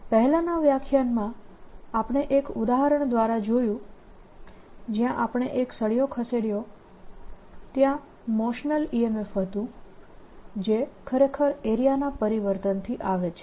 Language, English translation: Gujarati, in this previous lecture we saw through an example where we moved a rod out that there was something further motional e m f which actually comes from change of area